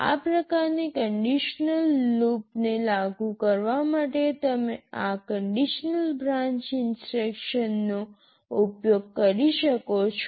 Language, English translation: Gujarati, You can use this conditional branch instruction to implement this kind of conditional loop